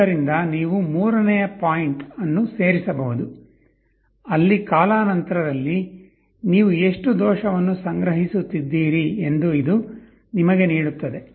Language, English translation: Kannada, So, you can add a third point, where summation over time this error, this will give you how much error you are accumulating over time